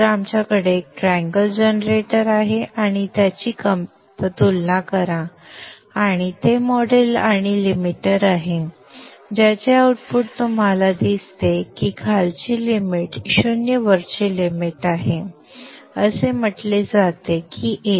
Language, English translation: Marathi, So we have a triangle generator, a thumb pair and its model and a limiter, the output of which you see that the lower limit is 0, upper limit is set at 1